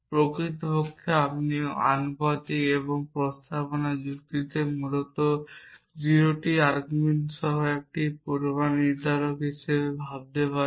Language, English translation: Bengali, In fact, you can think of proportional and proposition logic as a predicate with 0 arguments essentially